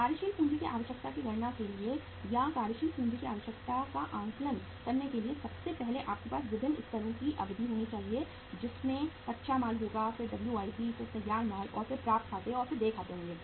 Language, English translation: Hindi, For calculating the working capital requirement or assessing the working capital requirement first of all you should have the duration of the different uh levels of your material will be raw material, then WIP, then finished goods, and then accounts receivables and accounts payable